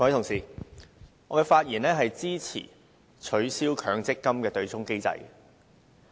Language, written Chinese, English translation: Cantonese, 各位同事，我發言支持取消強制性公積金對沖機制。, Honourable colleagues I speak in support of abolishing the offsetting mechanism under the Mandatory Provident Fund MPF System